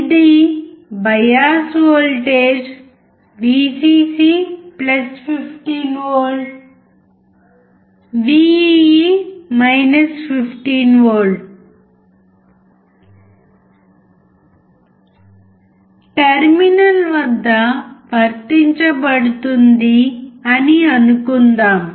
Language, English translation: Telugu, It is assumed that a bias voltage Vcc(+15V) Vee is applied across the terminal